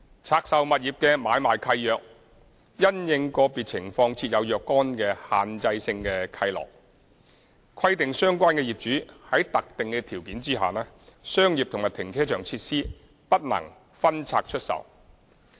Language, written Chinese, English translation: Cantonese, 拆售物業的買賣契約，因應個別情況設有若干限制性契諾，規定相關業主在特定條件下，商業和停車場設施不能分拆出售。, Depending on individual circumstances assignment deeds of divested properties contain certain restrictive covenants which require that commercial and carparking facilities shall not be disposed of individually by the owners under specific circumstances